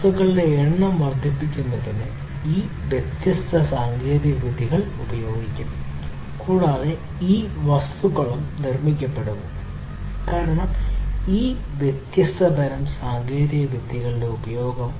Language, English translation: Malayalam, So, all of these different technologies will be used in order to increase the production of number of objects and these objects that are also being produced, because of the use of all of these different types of technologies